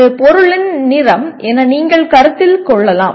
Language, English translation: Tamil, You may consider like the color of a product let us say